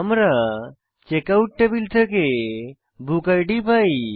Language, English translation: Bengali, We get bookid from Checkout table